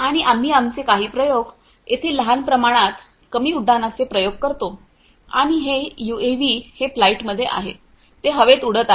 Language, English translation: Marathi, And we do some of our experiments over here small scale low flight experiments we perform, and this is this UAV it is in flight, it is flying in the air